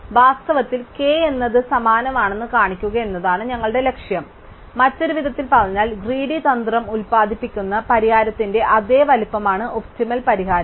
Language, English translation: Malayalam, So, our goal is to show that k in fact is the same as m, in other words the optimum solution is of the same size as the solution that the greedy strategy produces